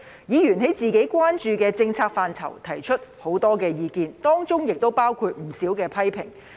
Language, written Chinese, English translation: Cantonese, 議員在自己關注的政策範疇提出很多意見，當中亦包括不少批評。, Members have raised a lot of opinions including many criticisms on the policy areas of their concern